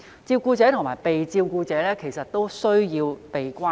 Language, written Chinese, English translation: Cantonese, 照顧者和被照顧者其實都需要被關顧。, In fact both carers and care recipients need care and attention